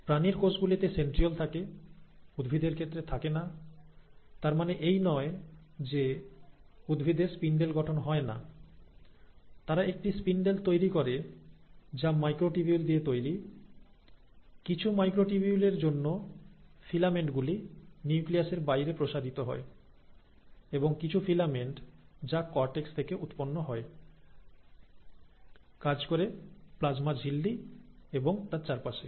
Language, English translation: Bengali, So in animal cells, there are centrioles, plants do not have it, but that does not mean that the plant cells do not form a spindle; they still form a spindle which is made up of microtubules, and that is because of some of the microtubules, filaments which extend outside of the nuclear envelope and also some of the filaments which originate from structures called as cortex, cortical actin rather form the region in and around the plasma membrane